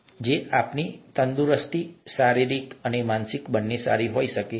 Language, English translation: Gujarati, Can our wellness, both physical and mental be better